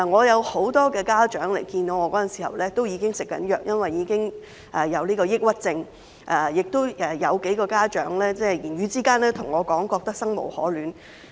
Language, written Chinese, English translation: Cantonese, 有很多家長跟我會面時表示已經要接受藥物治療，因為已經患上抑鬱症，亦有幾個家長在言語之間對我說覺得生無可戀。, During the meetings with me many parents said that they had to receive drug treatment because they were suffering from depression . Several others even told me in our conversation that they felt there was nothing to live for